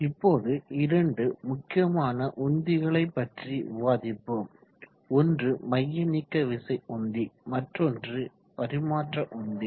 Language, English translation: Tamil, Let me discuss now important pump centrifugal pump and reciprocating pump